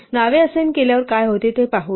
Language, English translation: Marathi, Let us look at what happens when we assign names